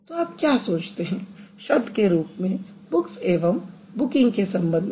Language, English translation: Hindi, So, what do you think booked and booking as words